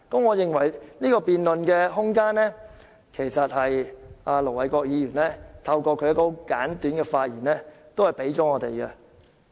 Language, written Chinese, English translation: Cantonese, 我認為，這個辯論空間是盧偉國議員透過其簡短發言給予我們的。, In my opinion Ir Dr LO Wai - kwoks brief remarks have brought about this room for debate